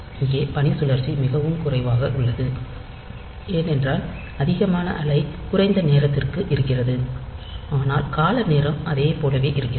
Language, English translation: Tamil, So, here the duty cycle is much less, because the wave is high for much less amount of time where the time period is same